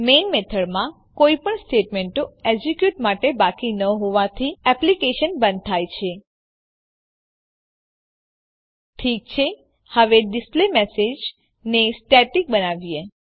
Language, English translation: Gujarati, Since there are no statements left to execute, in the main method the application terminates Alright now let us make displayMessage as static